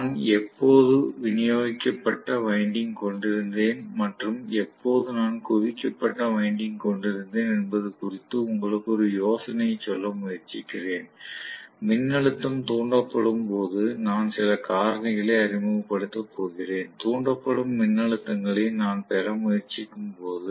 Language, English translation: Tamil, I am trying to give you an idea as to when I have distributed winding versus when I have concentrated winding; it is going to introduce some factors when I actually get the voltage being induced, when I try to derive the voltages being induced